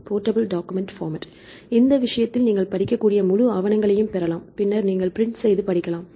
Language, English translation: Tamil, Portable document format right in this case you can get the full paper you can read in the format, then you can read like a print right